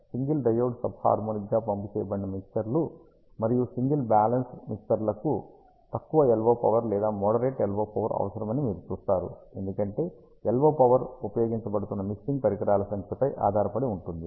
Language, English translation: Telugu, And you see that low LO powers or moderate LO powers are required for single diode sub harmonically pumped mixers, and single balance mixers, because the LO power depends on the number of mixing devices that are being used